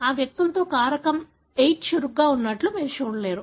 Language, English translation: Telugu, In these individuals, you do not see factor VIII being active